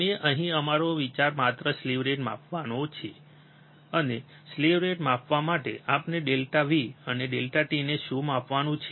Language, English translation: Gujarati, We here our idea is just to measure the slew rate, and for measuring the slew rate, what we have to measure delta V and delta t